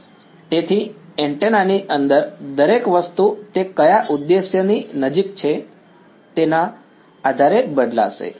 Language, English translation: Gujarati, So, everything inside the antenna will change depending on what objective place it close to